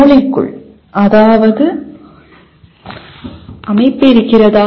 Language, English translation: Tamil, Is there any structure inside the brain